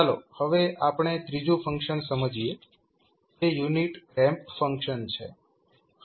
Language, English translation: Gujarati, Now, let us understand the third function which is unit ramp function